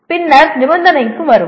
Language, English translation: Tamil, Then come the condition